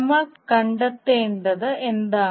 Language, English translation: Malayalam, What we need to find out